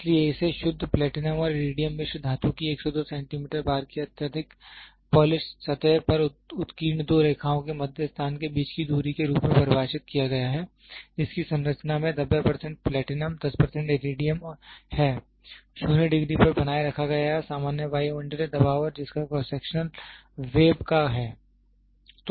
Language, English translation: Hindi, So, it is defined as the distance between the central positions of two lines engraved on the highly polished surface of your 102 centimeter bar of pure Platinum and Iridium alloy which has a composition of 90 percent Platinum, 10 percent Iridium maintained at 0 degrees under the normal atmospheric pressure and having a cross section of the web